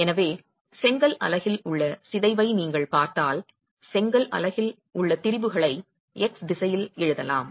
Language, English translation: Tamil, So if you look at the deformation in the brick unit, we can write down the strain in the brick unit in the X direction